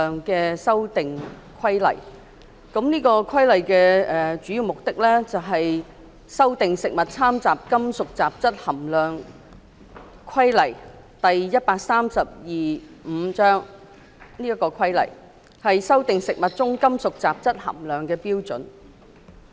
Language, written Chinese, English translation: Cantonese, 本《修訂規例》的主要目的是修訂《食物攙雜規例》，以修訂食物中金屬雜質含量的標準。, The primary aim of the Amendment Regulation is to amend the Food Adulteration Regulations Cap . 132V to revise the standards for metallic contamination in food